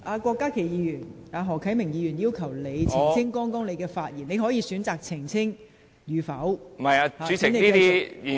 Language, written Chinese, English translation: Cantonese, 郭家麒議員，何啟明議員要求你澄清剛才的發言，你可以選擇是否澄清。, Dr KWOK Ka - ki Mr HO Kai - ming has requested you to clarify your earlier remarks . You may decide whether to clarify or not